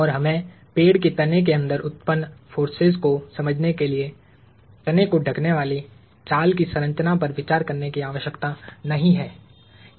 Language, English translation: Hindi, And in order for us to understand the forces generated inside the tree trunk, I do not need to consider the structure of the bark covering the trunk